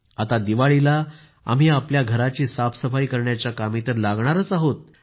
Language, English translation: Marathi, Now, during Diwali, we are all about to get involved in cleaning our houses